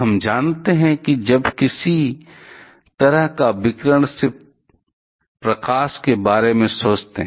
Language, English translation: Hindi, We know that; whenever some kind of radiation just think about maybe light